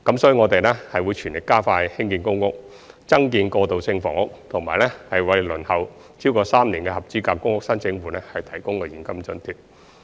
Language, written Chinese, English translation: Cantonese, 所以，我們會全力加快興建公屋、增建過渡性房屋，以及為輪候超過3年的合資格公屋申請戶提供現金津貼。, We will therefore vigorously speed up PRH construction build more transitional housing and provide cash allowances to eligible PRH applicants who have been waiting for PRH for more than three years